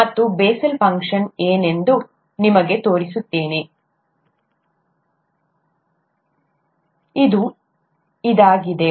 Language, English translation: Kannada, And, let me show you what a Bessel’s function is, just to make you happy